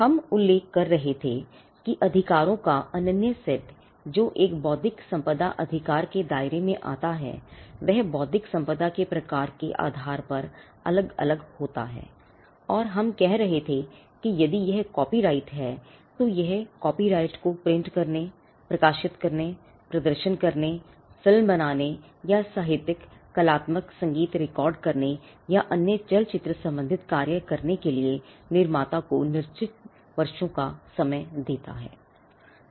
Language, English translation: Hindi, We were mentioning that the exclusive set of rights that an intellectual property right and compasses would also vary depending on the kind of intellectual property right and we were saying that if it is a copyright, then the copyright gives the creator fixed number of years to print, to publish, to perform, to film or to record literary artistic musical or other cinematographic works